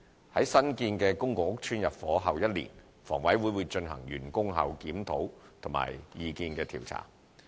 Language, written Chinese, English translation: Cantonese, 在新建公共屋邨入伙後一年，房委會會進行完工後檢討和意見調查。, HA will also conduct reviews and opinion surveys one year after flats intake of new PRH estates